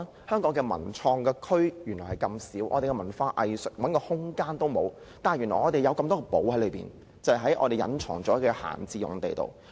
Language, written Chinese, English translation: Cantonese, 香港的文創區這麼少，文化藝術團體想找一個空間也沒有，但原來我們有這麼多"寶藏"隱藏在閒置用地中。, Hong Kong has very little area dedicated for cultural creations and culture and arts groups cannot even find room to survive . But actually there are many treasures hidden in the idle sites